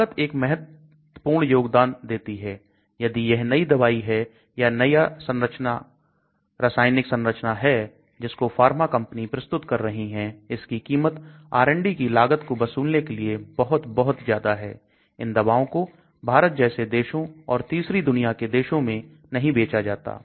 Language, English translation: Hindi, Cost plays a very important role and if it is a new drug, new chemical entity introduced so pharma companies will charge very, very high prices to recover the R&D cost such drugs are not sold in countries like India or third world countries